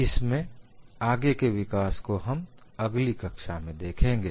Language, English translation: Hindi, We will see further advancements in next class